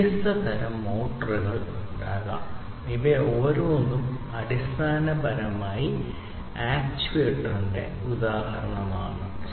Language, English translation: Malayalam, There could be different, different types of motors, and each of these is basically an actuator, examples of actuators